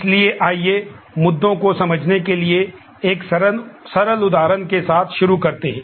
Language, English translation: Hindi, So, let us start with a simple example to understand the issues